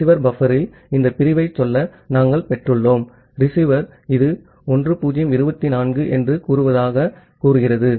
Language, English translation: Tamil, In the receiver buffer, we have received up to say this segment and the receiver is say this is say 1024